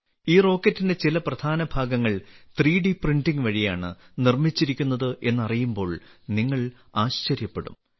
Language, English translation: Malayalam, You will be surprised to know that some crucial parts of this rocket have been made through 3D Printing